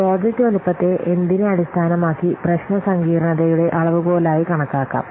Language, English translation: Malayalam, So, project size is a measure of the problem complexity